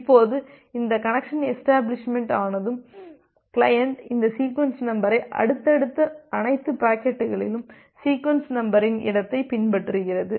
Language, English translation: Tamil, Now once this connection establishment is being done, then all the subsequent packets that is being sent by the client it follows this sequence number space